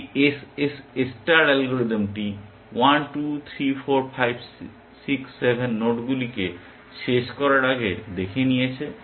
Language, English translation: Bengali, This SSS star algorithm has looked at 1, 2, 3, 4, 5, 6, 7, nodes essentially before it terminated